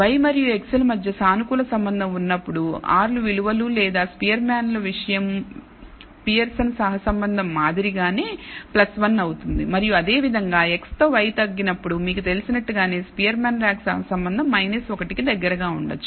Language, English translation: Telugu, When there is the positive association between y and x then the r s values or the Spearman’s thing will be plus 1 like the Pearson’s correlation and similarly when y decreases with x then we say that you know the Spearman’s rank correlation is likely to be close to minus 1 and so, on